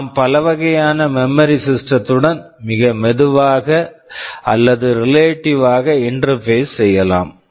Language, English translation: Tamil, We can interface with a wide variety of memory systems, very slow or also relatively fast memory systems it can all be interfaced with depending on the scenario